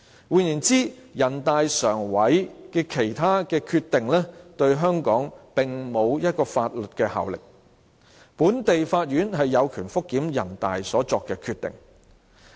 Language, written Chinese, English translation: Cantonese, 換言之，人大常委會的其他決定對香港並沒有法律效力，本地法院有權覆檢人大常委會所作的決定。, In other words other decisions made by NPCSC do not have legal effect in Hong Kong and the local courts have the power to review the decisions made by NPCSC